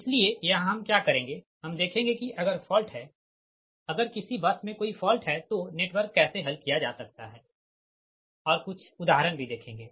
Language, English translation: Hindi, so here what we will do is that we will see that how this fault, if net, if there any bus there is a fault, how network, can be solved right, and few examples